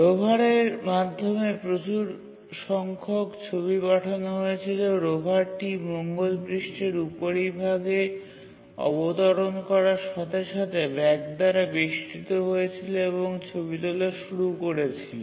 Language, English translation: Bengali, One picture of the Mars surface, the river has landed on the moon surface surrounded by bags and started taking pictures